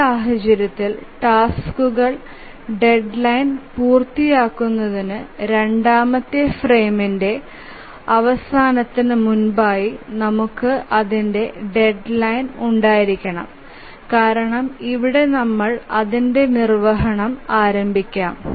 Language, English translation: Malayalam, And in this case for the task to meet its deadline we must have its deadline before the end of the second frame because we may at most start its execution here